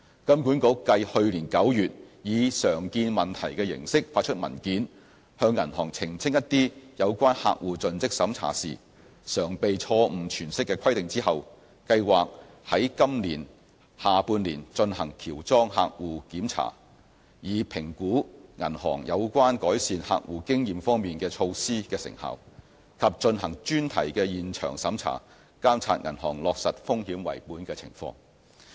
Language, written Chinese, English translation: Cantonese, 金管局繼去年9月以"常見問題"形式發出文件，向銀行澄清一些有關客戶盡職審查時常被錯誤詮釋的規定後，計劃在今年下半年進行喬裝客戶檢查，以評估銀行有關改善客戶經驗方面的措施的成效，以及進行專題現場審查，監察銀行落實"風險為本"的情況。, Following its issuance of the circular on Frequently Asked Questions on Customer Due Diligence in September last year to clarify certain requirements which are often misinterpreted by banks HKMA plans to commission a mystery shopping programme in the latter half of this year to assess the effectiveness of measures adopted by banks to improve customer interfacing and to conduct thematic on - site examinations to test actual implementation of the risk - based approach